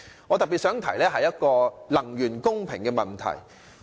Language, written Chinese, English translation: Cantonese, 我特別想談談能源公平的問題。, In particular I want to discuss fair use of energy